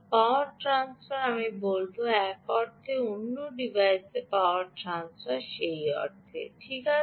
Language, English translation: Bengali, i would say power transfer from one device to another device, more, more